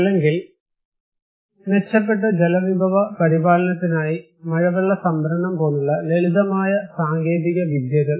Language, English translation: Malayalam, Or maybe just simple technologies like rainwater harvesting for better water resource management